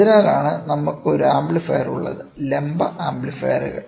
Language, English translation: Malayalam, So, that is why we have an amplifier; vertical amplifiers